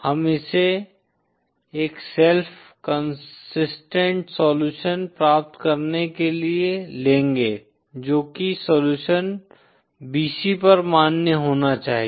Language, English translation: Hindi, We shall take it in order to get a self consistent solution that is the solution should be valid at bc